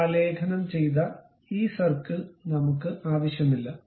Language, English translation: Malayalam, Now, we do not want this inscribed circle